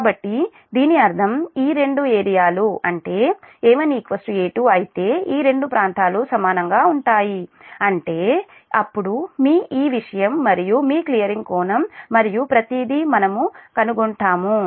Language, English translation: Telugu, so that means if this two area, i mean if a one is equal to a two, if these two area equal, then we will find out all the your, your, this thing and your clearing angle and everything